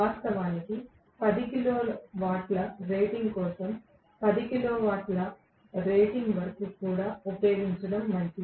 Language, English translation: Telugu, In fact, even for 10 kilowatt rating maybe until 10 kilowatt rating it is okay to use it